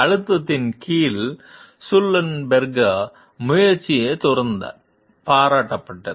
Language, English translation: Tamil, Sullenberger s judgment under pressure has been consistently praised